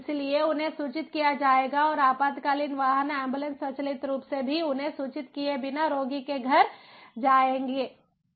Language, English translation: Hindi, so they will be get getting notified and the emergency vehicles are going to the ambulances, going to come to the home of the patient automatically, without even having them to be informed